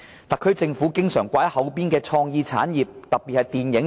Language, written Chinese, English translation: Cantonese, 特區政府經常掛在口邊的是創意產業，特別是電影業。, The SAR Government keeps talking about creative industries in particular the film industry